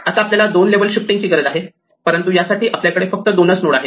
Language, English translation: Marathi, Now, we need two levels of shifting, but we have only two nodes for this